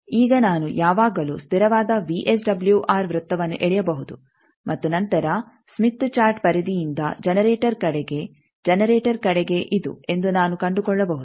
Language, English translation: Kannada, Now, I can always draw the constant VSWR circle and then towards generator in the smith chart periphery, I can find that towards generator is this